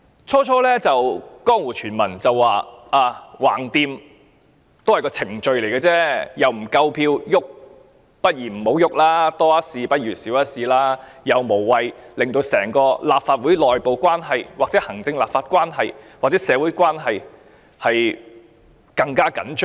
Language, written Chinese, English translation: Cantonese, 最初有江湖傳聞指，反正這項議案也只是程序而已，不會有足夠的票數通過，倒不如不要提出，多一事不如少一事，無謂令整個立法會內部、行政立法或社會關係更趨緊張。, Rumour has it that some people initially intended to call off moving this motion saying that the motion was only procedural in nature and would not secure adequate votes for endorsement and that they considered it unwise to stir up unnecessary troubles to further worsen the relationship within the Legislative Council as well as the relationship between the Administration and the Legislature or people in society